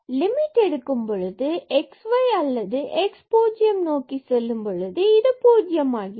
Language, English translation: Tamil, And the limit x goes to 0